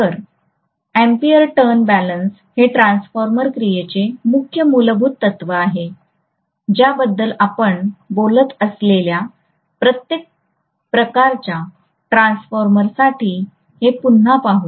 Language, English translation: Marathi, So the ampere turn balance essentially is the major underlying principle of transformer action we will revisit this for every kind of transformer that we are going to talk about